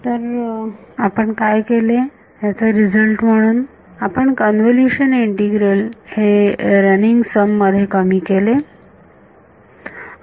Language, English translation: Marathi, So, what we have done as a result of this is, we have reduced a convolution integral to a running sum ok